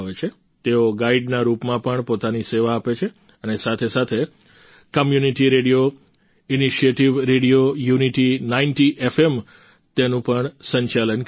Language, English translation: Gujarati, They also serve as guides, and also run the Community Radio Initiative, Radio Unity 90 FM